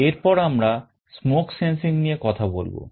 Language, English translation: Bengali, Next let us talk about smoke sensing